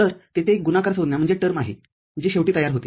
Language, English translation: Marathi, So, there is a product term that is finally formed